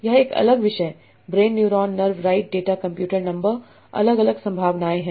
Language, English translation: Hindi, Brain, neuron, nerve, data computer, number, different probabilities